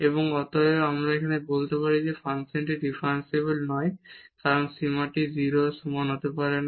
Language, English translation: Bengali, And hence, we can now say that the function is not differentiable because this limit cannot be equal to 0